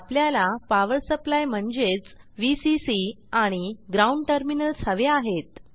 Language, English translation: Marathi, Now we need a power supply i.e.Vcc and Ground terminals